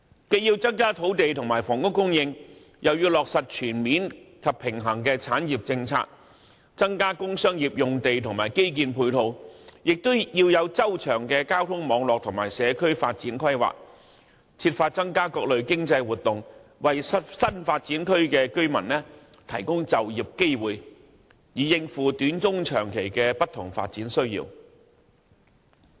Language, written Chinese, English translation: Cantonese, 既要增加土地及房屋供應，亦要落實全面及平衡的產業政策，增加工商業用地及基建配套，同時要有周詳的交通網絡及社區發展規劃，設法促進各類經濟活動，為新發展區的居民提供就業機會，以應付短、中、長期的不同發展需要。, Whilst increasing land and housing supply the Government must also implement a comprehensive and balanced industrial policy increase the provision of sites and infrastructure support for industrial and commercial industries . In parallel the Government should also provide a comprehensive transportation network ensure planning for social development and strive to promote all kinds of economic activities so that job opportunities can be provided for residents in new development areas to meet the different development needs of Hong Kong in the short medium and long term